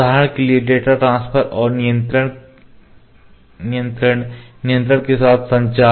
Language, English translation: Hindi, For instance data transfer and control so then communication with a controller